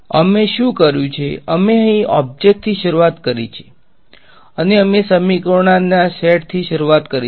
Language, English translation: Gujarati, What have we done we started with an object over here and we started with these sets of equations